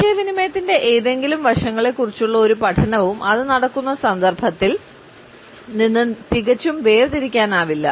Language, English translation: Malayalam, No study of any aspect of communication can be absolutely isolated from the context in which it is taking place